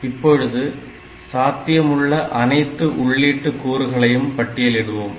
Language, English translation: Tamil, Now, we list down all possible combinations of these input values